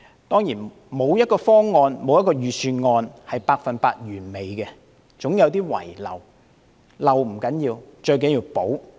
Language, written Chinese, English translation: Cantonese, 當然，沒有一個方案或預算案是百分之一百完美的，總會有些遺漏，但遺漏不要緊，最重要的是修補。, Certainly no plan or budget is perfect . There will always be some inadequacies but that does not matter . The most important are remedial measures